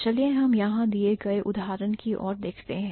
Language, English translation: Hindi, So, let's look at the example here